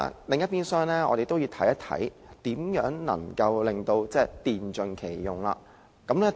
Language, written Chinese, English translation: Cantonese, 另一邊廂，我們也要看看如何能電盡其用。, On the other hand we have to consider how to fully utilize electricity